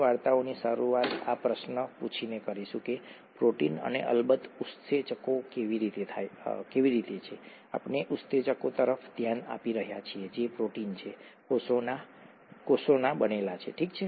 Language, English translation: Gujarati, We will begin the story by asking this question, how are proteins and of course enzymes, we are looking at enzymes that are proteins, made in the cell, okay